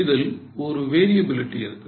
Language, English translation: Tamil, So, it may have a variability